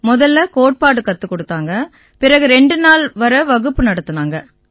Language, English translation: Tamil, First the theory was taught and then the class went on for two days